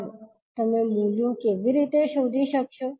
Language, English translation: Gujarati, Now, how you will find out the values